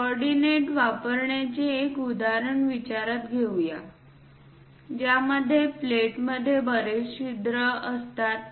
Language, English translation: Marathi, Let us consider a example of using coordinates would be for a plate that has many holes in it